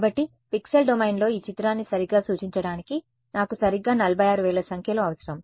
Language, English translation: Telugu, So, in order to represent this picture correctly in the pixel domain, I need 46000 numbers right